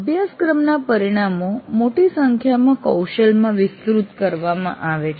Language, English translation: Gujarati, That means course outcomes are elaborated into a larger number of competencies